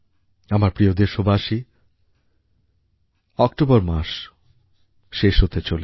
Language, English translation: Bengali, My dear countrymen, October is about to end